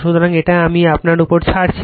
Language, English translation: Bengali, So, this one I am leaving up to you right